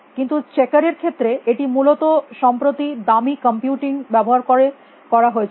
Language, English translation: Bengali, But, for checkers it was done quite recently using expensive computing essentially